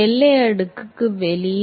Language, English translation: Tamil, Outside the boundary layer